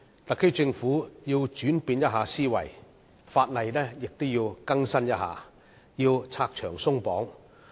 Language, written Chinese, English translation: Cantonese, 特區政府須轉變思維，亦要更新法例、拆牆鬆綁。, The SAR Government must change its mindset update the laws and remove the hurdles